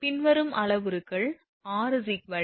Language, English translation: Tamil, Following parameters are given r is equal to 1